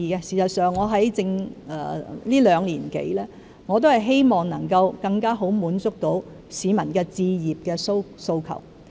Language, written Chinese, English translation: Cantonese, 事實上，我在這兩年多以來，一直希望能夠更好地滿足市民置業的訴求。, In fact over the past two - odd years I have been hoping to better meet the home ownership needs of these tenants